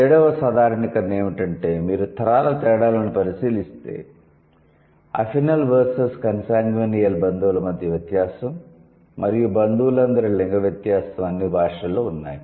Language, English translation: Telugu, So, the seventh generalization was that there is a, there is a, if you look at the generational differences, the difference between consanguinal and affinol relatives and the sex difference of all the relatives are present in all languages